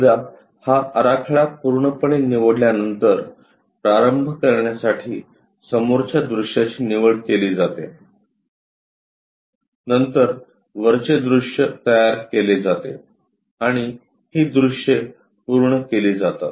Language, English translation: Marathi, Once this layout is chosen complete is selected view begin with front view then construct a top view and complete these views